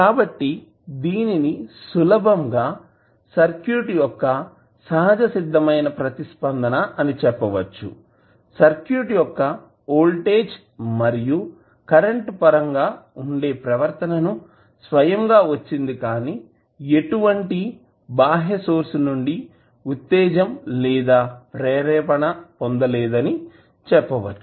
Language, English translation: Telugu, So, we can simply say that natural response of the circuit, refers to the behavior that will be in terms of voltage and current of the circuit itself with no external sources of excitation